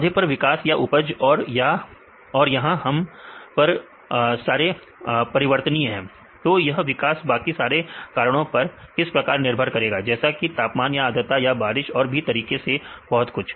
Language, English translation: Hindi, Growth of your plants or yield and here these are your variables; how this growth depends upon the different other factors like the temperature or humidity or rainfall and so, on